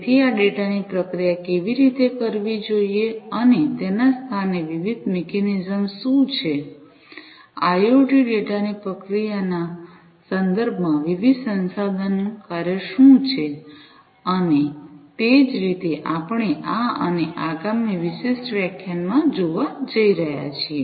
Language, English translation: Gujarati, So, how this data has to be processed and what are the different mechanisms in place, what are the different research works that are going on in terms of processing of IoT data and so on is what we are going to look at in this particular lecture and the next